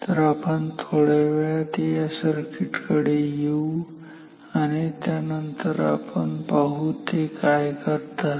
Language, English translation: Marathi, So, we will come to the circuit in a while till then let us see what they does